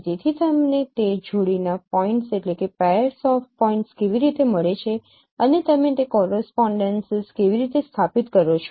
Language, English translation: Gujarati, So how do you get those pairs of points and how do you establish those correspondences